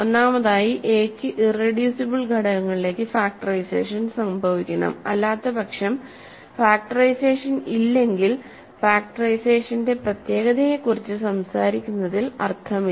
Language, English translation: Malayalam, So, first of all if a has first of all a has factorization into irreducible that must be happening into irreducible factors, otherwise the if there is no factorization there is no point talking about uniqueness of factorization